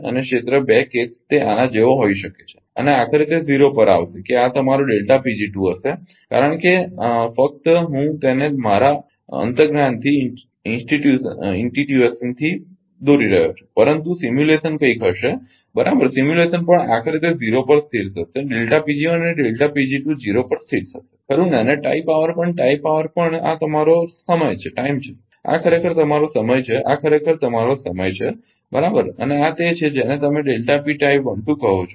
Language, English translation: Gujarati, And, area 2 case it may be go like this may be go like this and finally, it will come to 0, that this will be your delta P g 2 because this just I am ah drawing it from my intuition, but simulation will be something, right simulation also ultimately it will settle to 0 delta P g 1 and delta P g 2 settle to 0, right and tie power also tie power also this is your time this is actually your time this is actually your time, right and this is your what you call ah delta P tie 1 2